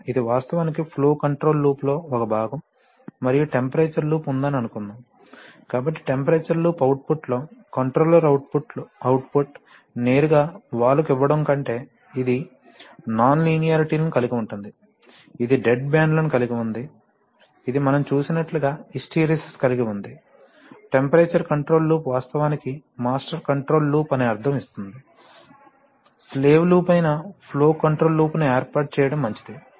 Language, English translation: Telugu, So it is actually a part of the flow control loop generally and if you have a, that is rather than suppose you have a temperature loop, so in the temperature loop output, controller output rather than giving directly to the valve, which has nonlinearities, which has dead bands, which has hysteresis as we have seen, it is better to set up a flow control loop which is a slave loop, in the sense that the temperature control loop is actually the master control loop